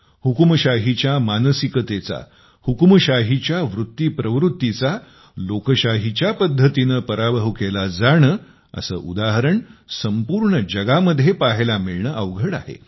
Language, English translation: Marathi, It is difficult to find such an example of defeating a dictatorial mindset, a dictatorial tendency in a democratic way, in the whole world